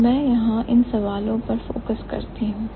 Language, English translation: Hindi, Let me just focus on the questions here